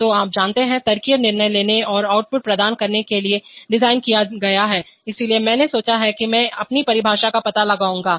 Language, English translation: Hindi, So, you know, designed to make logical decisions and provide outputs, so I thought that I will find out my own definition